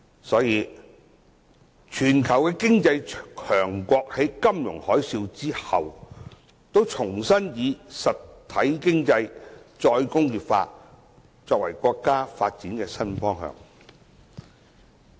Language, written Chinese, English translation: Cantonese, 所以，全球經濟強國在金融海嘯後，都重新以"實體經濟"和"再工業化"作為國家發展的新方向。, Therefore after the financial tsunami many powerful economies around the world have put real economy and re - industrialization as the new direction for national development